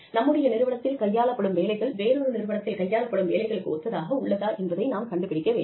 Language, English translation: Tamil, We need to find out, whether the kind of jobs, that are being carried out, in our organization, are similar to something, that is being done, in another organization